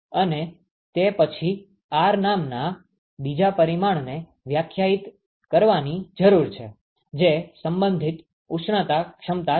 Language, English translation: Gujarati, And then, one needs to define another quantity called R which is the relative thermal capacity